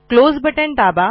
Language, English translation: Marathi, And press close